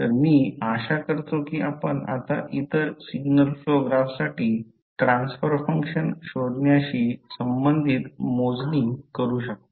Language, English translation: Marathi, So, I hope you can now do the calculations related to finding out the transfer function for other signal flow graphs